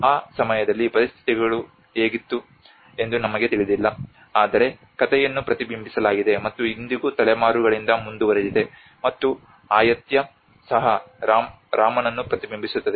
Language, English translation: Kannada, So maybe we never know how was the situation at that time but the story has been reflected and has been continued for generations and generations even today, and Ayutthaya also reflects back to Rama